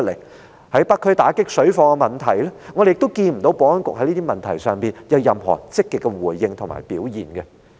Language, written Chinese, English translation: Cantonese, 又例如在北區打擊水貨的問題上，我們亦看不到保安局在這些問題有任何積極的回應和表現。, Again for example on the issue of combating parallel trading activities in the North District we have not seen any active response or action from the Security Bureau